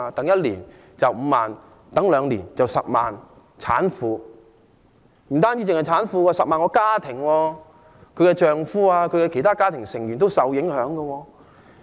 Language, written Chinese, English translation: Cantonese, 一年有5萬名孕婦，兩年便有10萬名產婦，這不單是涉及產婦，還涉及10萬個家庭，產婦的丈夫和其他家庭成員也受影響。, In other words we have to wait for three more years but we really cannot wait any longer . There are 50 000 pregnant women in one year and 100 000 pregnant women in two years . Not only will these pregnant women be affected but 100 000 families in which the pregnant womens husbands and other family members will also be affected